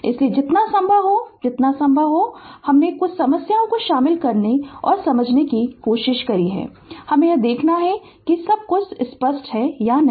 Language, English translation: Hindi, So, as many as I mean as much as possible we have tried to incorporate prior to the problems and understand and we have to see that whether everything in understanding is clear or not